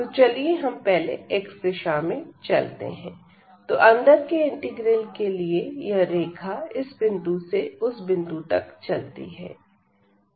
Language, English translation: Hindi, So, let us go in the direction of x and then for the inner integral and then this line will move from this to that point